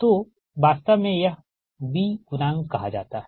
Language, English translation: Hindi, so this is actually called b coefficient